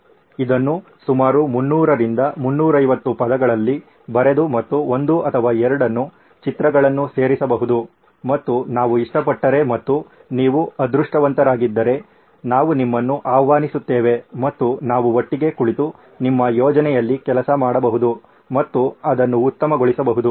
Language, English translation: Kannada, Put it in about 300 to 350 words and may be add a picture or two and if we like it and if you are lucky, we will invite you over and we can sit together and actually work on your project and make it better